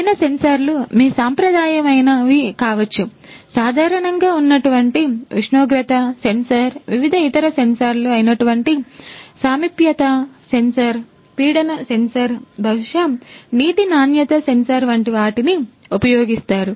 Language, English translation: Telugu, The different sensors that could be used could be your traditional ones, the common ones like your temperature sensor, different other sensors like proximity sensor, pressure sensor maybe water quality sensor, water quality sensor